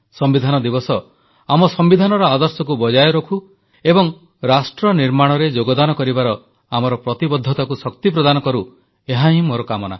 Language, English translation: Odia, I pray that the 'Constitution Day' reinforces our obligation towards upholding the constitutional ideals and values thus contributing to nation building